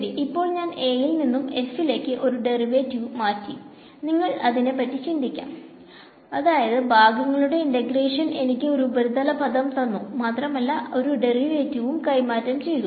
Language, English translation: Malayalam, So, I have transferred one derivative from A to f you can think of it that way integration by parts has given me a surface term and transferred one derivative